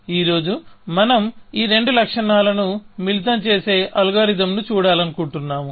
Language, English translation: Telugu, Today, we want to look at an algorithm, which combines both these features